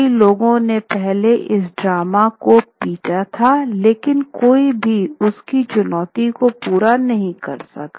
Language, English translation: Hindi, Many had beaten these drums before, but none could meet her challenge